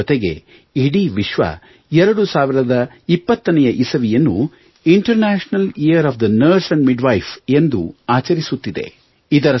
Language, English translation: Kannada, It's a coincidence that the world is celebrating year 2020 as the International year of the Nurse and Midwife